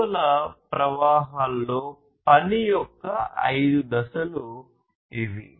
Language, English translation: Telugu, These are the five steps of work in the value streams